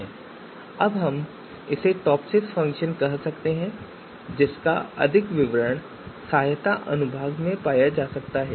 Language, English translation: Hindi, Now we can call this TOPSIS function so more detail on TOPSIS TOPSIS function you can always go into the help section and find out